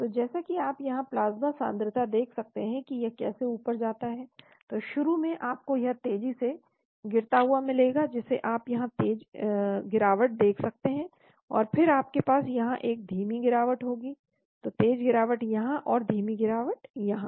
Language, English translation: Hindi, So as you can see here plasma concentration how it goes up, so initially you have a very fast drop you can see here fast drop, and then you have a slow drop fast drop here and then slow drop here